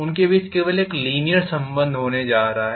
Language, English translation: Hindi, I am going to have only a linear relationship between them